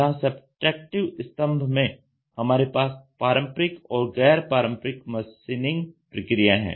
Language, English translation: Hindi, Subtractive you have the conventional and the non conventional machining processes